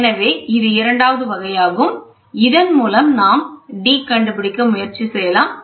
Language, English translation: Tamil, So, this is a second type so, this one we can try to find out d